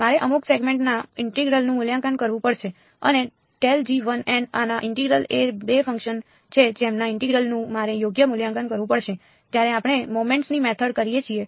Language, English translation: Gujarati, I will have to evaluate the integral of g 1 over some segment and the integral of grad g 1 dot n hat these are the 2 functions whose integral I have to evaluate right, when we do the method of moments